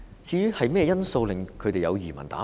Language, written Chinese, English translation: Cantonese, 甚麼原因令他們有移民打算？, For what reasons do they plan to emigrate?